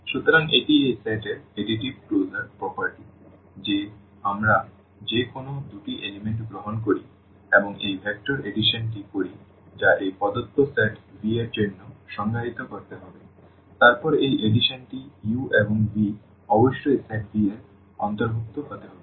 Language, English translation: Bengali, So, that is the additive closure property of this set that we take any two elements and do this vector addition which has to be defined for this given set V then this addition of this u and v must belong to the set V